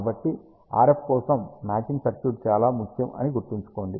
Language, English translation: Telugu, So, remember matching circuit for RF is very very important